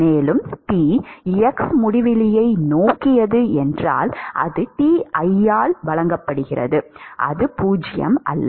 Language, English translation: Tamil, And, T at x tending to infinity is given by Ti, it is not 0